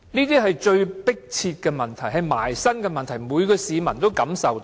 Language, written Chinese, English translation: Cantonese, 這些是迫切的問題，是切身的問題，是每個市民也能感受到的。, These are pressing issues of immediate concern to each and every citizen